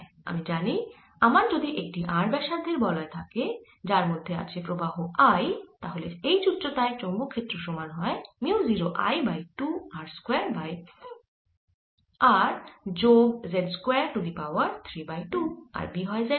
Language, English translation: Bengali, now i know, if i have a ring of radius r with current i, then at height z the magnetic field due to this is nothing but mu zero i over two r square over r square plus z square raise to three by two and it's in the z direction